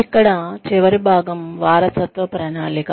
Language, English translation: Telugu, The last portion here is, succession planning